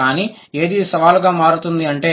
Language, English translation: Telugu, But what becomes a challenge